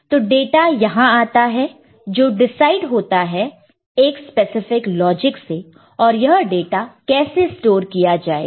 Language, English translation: Hindi, So, in the data will be coming here that is decided by a specific logic and the how data will be stored